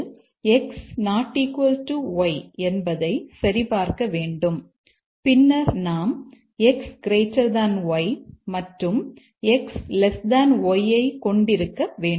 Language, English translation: Tamil, So first need to check whether x is not equal to to y and then we must have x greater than y and x less than y